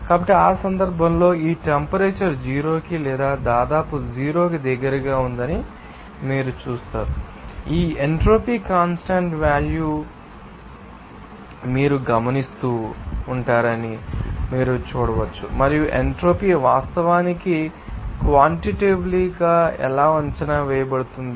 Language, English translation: Telugu, So, at that cases, you will see that this temperature is going to or approximately close to zero that you can see that this entropy will be you noticing it is constant value and how does entropy actually quantitatively can be estimated